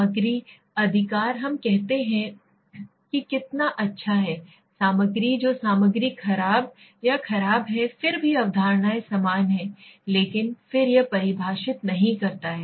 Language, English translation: Hindi, The content right we say how good is the content that content is poor or bad still the concepts remains the same but then it does not define it properly in a nice manner right